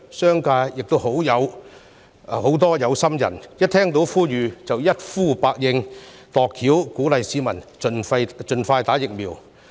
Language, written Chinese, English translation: Cantonese, 商界亦有很多有心人，響應政府呼籲，想盡辦法鼓勵市民盡快接種疫苗。, Many caring people in the business sector have also responded to the Governments appeal and tried every means to encourage the public to get vaccinated as soon as possible